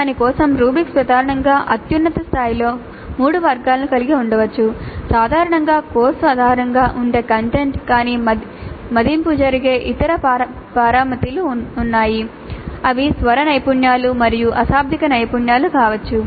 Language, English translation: Telugu, The rubrics for that could contain primarily at the highest level three categories, the content itself which typically is based on the course but there are other things, other parameters on which the evaluation takes place, they can be vocal skills and non verbal skills